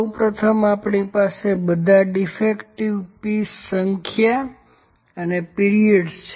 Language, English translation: Gujarati, First of all, we have number of defective pieces and the period